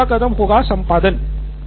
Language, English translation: Hindi, Next would be editing